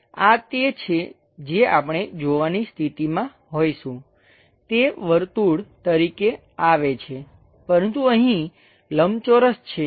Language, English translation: Gujarati, This is the thing, what we will be in a position to see that which comes as a circle, but here a rectangle